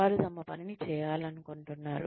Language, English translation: Telugu, They want to do their work